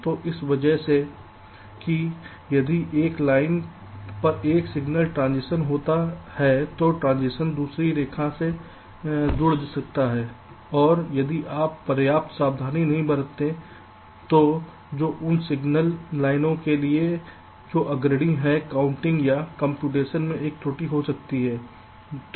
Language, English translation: Hindi, so because of that, if there is a signal transition on one line, that transition can get coupled to the other line and if are not careful enough, this can lead to an error in the calculation or computation which those signal lines are leading to